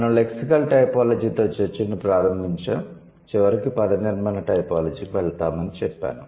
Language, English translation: Telugu, We started the discussion with lexical typology and then I said that we will eventually move over to morphological typology